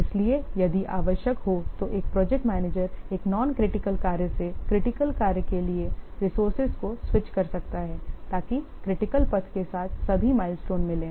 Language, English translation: Hindi, So, if necessary a project manager may switch resources from a non critical tax to critical tax so that all milestones along the critical path are made